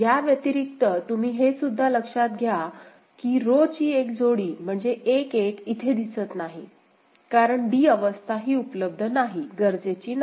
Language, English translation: Marathi, Other than that, what you can notice that one pair of column (correction: row) is missing that is 1 1 is not there right, because state d is not available, not required ok